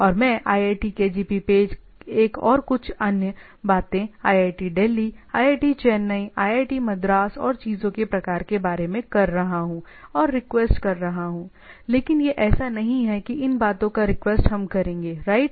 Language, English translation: Hindi, And I am requesting say iitkgp page one and some other things say IIT Delhi something IIT Chennai, IIT Madras and type of things and, but it is not like that request of these we will go to the thing, right